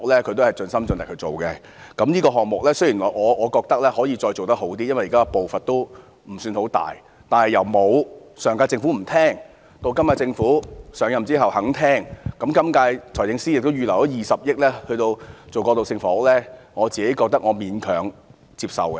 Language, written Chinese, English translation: Cantonese, 雖然我認為這項目可以做得更好，現時的步伐未算太大，但由上屆政府不願意聆聽，直至今屆政府上任後願意聆聽，財政司司長亦預留20億元推行過渡性房屋，我認為可以勉強接受。, The Government of the last term did not listen to the views of the people while the current - term Government has started to do so . The Financial Secretary has earmarked 2 billion for providing transitional housing . I think I can accept the performance though reluctantly